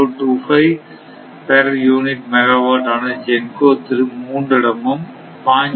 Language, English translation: Tamil, 035 per unit megawatt from GENCO 2 right